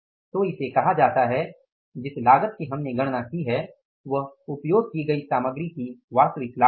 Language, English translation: Hindi, this is the cost we have calculated is the actual cost of the material used